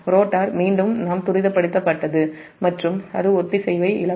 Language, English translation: Tamil, then machine will start accelerating and it will lose synchronism